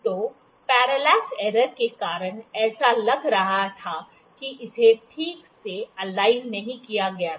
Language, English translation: Hindi, So, because of the parallax error it was it looked like that it was not aligned properly, ok